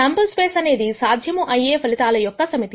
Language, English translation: Telugu, The sample space is the set of all possible outcomes